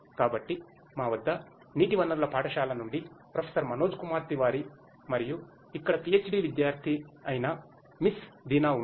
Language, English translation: Telugu, So, we have with us Professor Manoj Kumar Tiwari, from the school of water resources and also Miss Deena, who is the PhD student over here